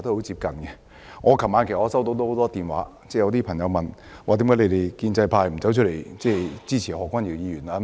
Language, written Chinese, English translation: Cantonese, 昨晚我收到很多朋友來電，他們問我，為何我們建制派不出來發言支持何君堯議員。, Last night I received calls from many friends . They asked me why we the pro - establishment camp had not come forward to make statements in support of Dr Junius HO